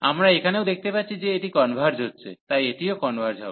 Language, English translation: Bengali, So, we can here also show that this converges, so this also converges